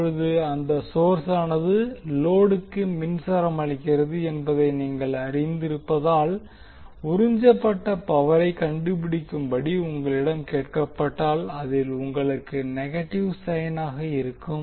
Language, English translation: Tamil, Now since you know that source generally supply power to the load so if you are asked to find out the power absorbed that means that you will have negative sign in that